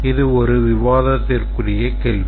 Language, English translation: Tamil, Because that's a debatable question, right